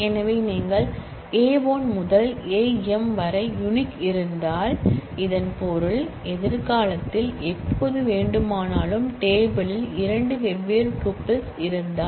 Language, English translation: Tamil, So, if you say A 1 to A m are unique; that means, that if we have two different tuples in the table anytime in future